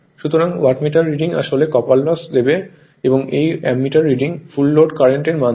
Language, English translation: Bengali, So, Wattmeter reading actually will give you the copper loss and this Ammeter reading will that give the your what you call full load current